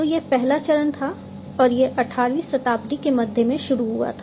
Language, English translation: Hindi, So, that was the first stage and that started in the middle of the 18th century